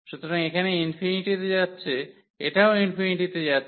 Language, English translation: Bengali, So, here going to infinity this is also going to infinity